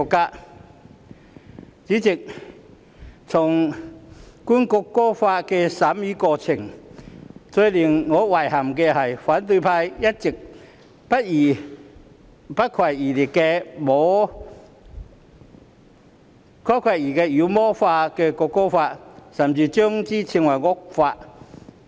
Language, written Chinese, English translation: Cantonese, 代理主席，在《條例草案》的審議過程中，最令我遺憾的是反對派一直不遺餘力地妖魔化《條例草案》，甚至稱之為惡法。, Deputy Chairman in the course of scrutinizing the Bill what I found the most regretful was that the opposition camp had spared no effort to demonize the Bill and even refer to it as an evil law